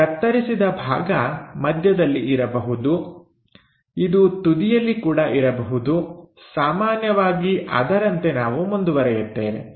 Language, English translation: Kannada, This cut section can be at middle, it can be at the edges also, usually we go ahead with